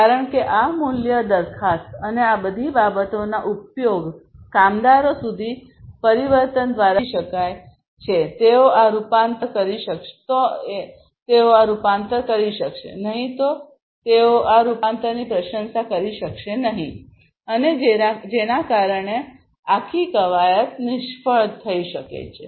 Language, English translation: Gujarati, Because until this value proposition and the use of all of these things the transformation etc are understood by the workforce; they will not be able to you know do this transformation in a meaningful way, they will not be able to appreciate this transformation meaningfully, and because of which the entire exercise might fail